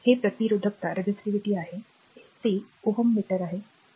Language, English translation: Marathi, It is resistivity it is ohm meter